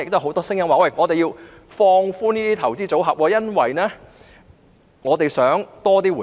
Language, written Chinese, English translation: Cantonese, 很多市民認為應放寬這些投資組合，因為他們想得到更多回報。, Many members of the public are of the view that restrictions on these investment portfolios should be relaxed because they want to gain more returns